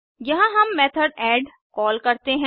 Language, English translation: Hindi, Here we call our add method